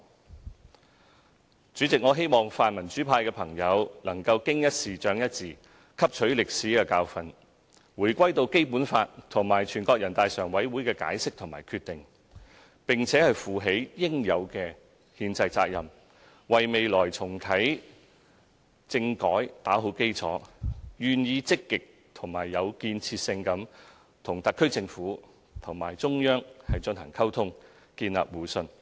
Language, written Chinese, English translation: Cantonese, 代理主席，我希望泛民主派的朋友能夠"經一事，長一智"，汲取歷史教訓，回歸到《基本法》和全國人大常委會的解釋和決定，並負起應有的憲制責任，為未來重啟政改打好基礎，並願意積極和有建設性地與特區政府及中央進行溝通，建立互信。, Deputy President I hope Members of the pan - democratic camp can gain in the wit from the fall in the pit learn a lesson from history and go back to the Basic Law and the interpretation and decision of NPCSC . I hope they will also duly shoulder their constitutional responsibility lay a proper foundation for restarting constitutional reform in the future and willingly communicate and establish mutual trust with the SAR Government and the Central Authorities in a proactive and constructive manner